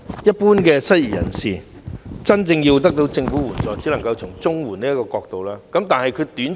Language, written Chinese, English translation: Cantonese, 一般失業人士如果要真正得到政府的援助，只能夠循綜援這個途徑。, If unemployed persons in general really want to receive government assistance applying for CSSA may be the only way